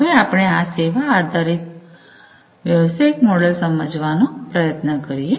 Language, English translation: Gujarati, Now, let us try to understand the service oriented business model